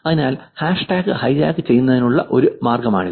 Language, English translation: Malayalam, So that is one way of hijacking the hashtag